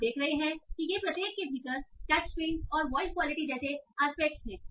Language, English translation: Hindi, You are saying okay these are the aspects like touch screen and voice quality